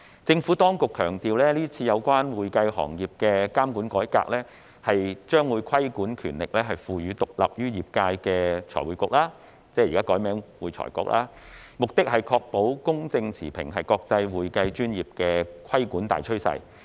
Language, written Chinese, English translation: Cantonese, 政府當局強調今次有關會計行業的監管改革，將規管權力賦予獨立於業界的財務匯報局)，目的是要確保公正持平，是國際會計專業的規管大趨勢。, The Administration has stressed that in this regulatory reform relating to the accounting profession the objective of vesting regulatory powers with the Financial Reporting Council FRC which is independent from the trade is to ensure impartiality . It is the major international trend on accounting profession regulation